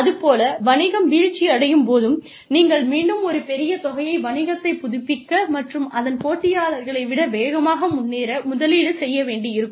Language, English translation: Tamil, And, when the business is on a decline, then again, you will have to invest, a large amount of money, in reviving the business, and bringing it up to speed with its competitors